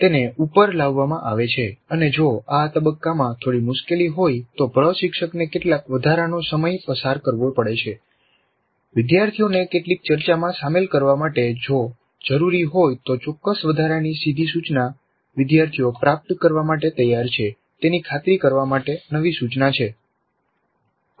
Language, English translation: Gujarati, They are brought to the surface and in case there is some difficulty with this phase instructor may have to spend some additional time engaging the students in some discussion if required certain additional direct instruction to ensure that the students are prepared to receive the new instruction